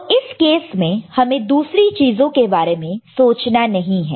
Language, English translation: Hindi, So, in this case we do not need to worry about the other things, ok